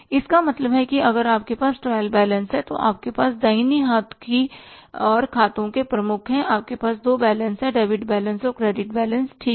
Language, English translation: Hindi, Means if you have the trial balance in the trial balance you have the heads of accounts on the right and side you have two balances debit balance and credit balance